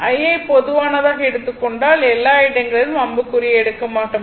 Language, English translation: Tamil, So, if you take I common, so everywhere I will not take I arrow